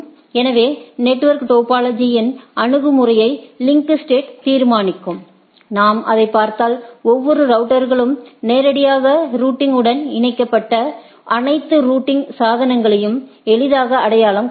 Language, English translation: Tamil, So, link state approach to determine network topology, if we look at; each router identifies all routing devices on the directly connected network right that is easy